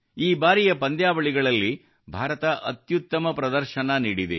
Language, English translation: Kannada, India displayed her best ever performance in these games this time